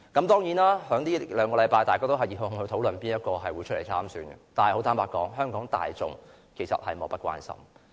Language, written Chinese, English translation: Cantonese, 當然，在這兩個星期大家都熱烘烘地討論誰會出來參選，但坦白說，香港大眾其實是莫不關心的。, Yes over the past two weeks there have been enthusiastic discussions on who will eventually run in the election . But very frankly the common masses in Hong Kong just couldnt care less